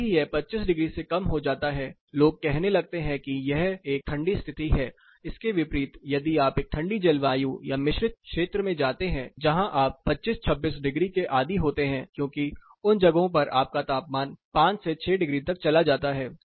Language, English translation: Hindi, As it gets lesser than 25 degrees people start saying that it is a cold condition, on the contrary if you go to a colder climate or a composite region you are used to 25 degrees, 26 degrees, because your temperature drops as low as 5, 6 degrees